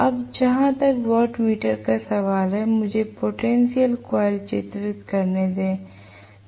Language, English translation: Hindi, Now, as far as the watt meter is concerned let me draw the potential coil